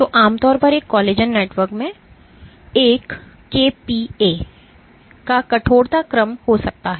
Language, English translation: Hindi, So, typically a collagen network might have a stiffness order of 1 kPa